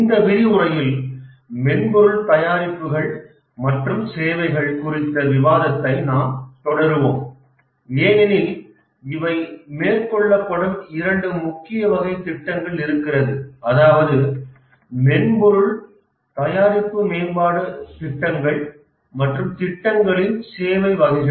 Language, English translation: Tamil, In this lecture, we'll continue our discussion on software products and services because these are the two major types of projects that are undertaken and the software project manager has to manage both these types of projects, the software product development projects and the services types of projects